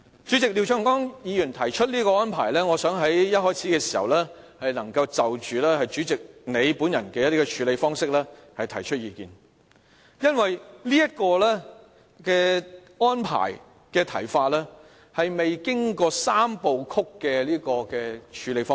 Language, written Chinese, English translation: Cantonese, 主席，廖長江議員提出這個安排，我想一開始能夠就着主席你本人的處理方式提出意見，因為這議案的安排，是沒有經過"三部曲"的處理方式。, But President before going into the arrangement Mr Martin LIAO proposes I first want to say a few words on how you have handled the matter . The reason is that Mr LIAOs proposed arrangement has not gone through the three steps you require